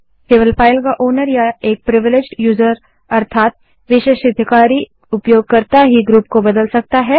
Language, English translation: Hindi, Only the owner of a file or a privileged user may change the group